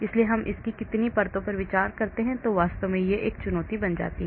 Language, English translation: Hindi, so how many layers of it do I consider that becomes a challenge actually